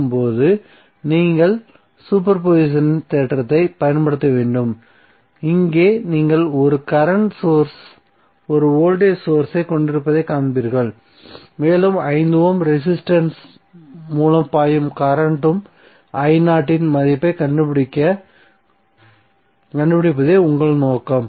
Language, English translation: Tamil, So now you have to apply the super position theorem, here you will see that you have 1 current source 1 voltage source and your objective is to find out the value of current i0 which is flowing through 5 Ohm resistance